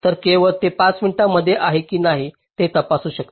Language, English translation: Marathi, then only you can check whether it is within five or not right